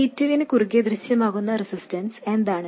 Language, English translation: Malayalam, What is the resistance that appears across C2